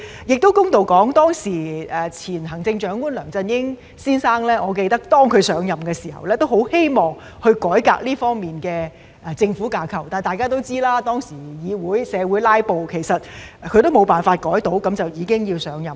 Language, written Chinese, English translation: Cantonese, 公道的說，我記得前行政長官梁振英先生上任的時候，也很希望改革這方面的政府架構，但大家都知道，當時議會"拉布"，他未能改革便已經要上任。, To put it fairly I remember that when former Chief Executive Mr LEUNG Chun - ying took office he also wanted very much to reform the government structure in this respect but as we all know there was filibustering in this Council at that time resulting in him taking office after his reform proposal fell through